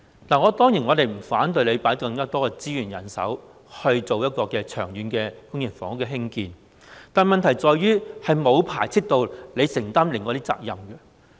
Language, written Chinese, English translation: Cantonese, 我們當然不反對政府投放更多資源和人手，興建長遠的公營房屋，但問題在於這與承擔另外的責任沒有排斥。, We certainly will not object to deploying more resources and more manpower by the Government for building permanent public housing . However this does not mean that the Government cannot take on other responsibilities